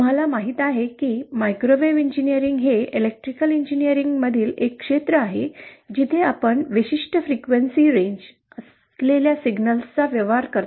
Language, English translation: Marathi, As you know, microwave engineering is a field in Electrical engineering where we deal with signals having a certain frequency range